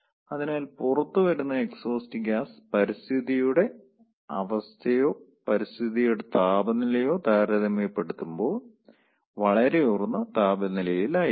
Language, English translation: Malayalam, so the exhaust gas which comes out that will be at a considerably higher temperature compared to the environmental, the condition of the environment or temperature of the environment